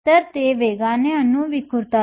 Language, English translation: Marathi, So, they can scatter of the atoms quicker